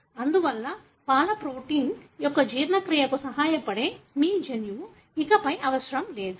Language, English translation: Telugu, Therefore, your gene which helps in the digestion of milk protein is no longer required